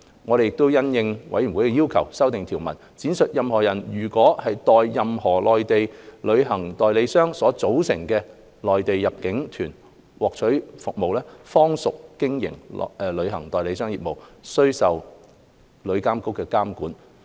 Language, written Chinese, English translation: Cantonese, 我們亦因應委員的要求，修訂條文，闡明任何人如代任何內地旅行代理商所組織的內地入境團獲取服務，方屬經營旅行代理商業務，須受旅監局監管。, We have also made a proposed amendment at the request of members to clarify that a person carries on Mainland inbound tour group business and is thus subject to the regulation of TIA if heshe obtains services for a Mainland inbound tour group organized by a Mainland travel agent